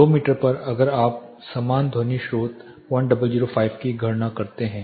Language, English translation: Hindi, At 2 meters if you calculate the same sound source 0